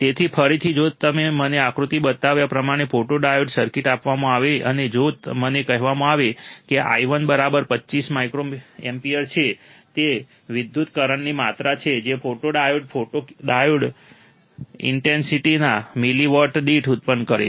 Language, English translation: Gujarati, So, again if I am given a photodiode circuit as shown in figure, and if I am told that i1 equals to 25 microampere that is the amount of current that the photodiode generates per milliwatt of incident radiation